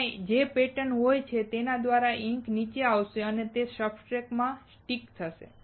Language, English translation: Gujarati, Whatever the pattern is there, through that the ink will come down and it will stick on the substrate